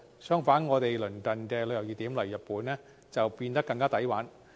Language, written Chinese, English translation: Cantonese, 相反，我們鄰近的旅遊熱點，例如日本變得更加"抵玩"。, On the contrary they can have higher spending power in our neighbouring tourist hot spots such as Japan